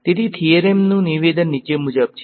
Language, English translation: Gujarati, So, the statement of the theorem is as follows ok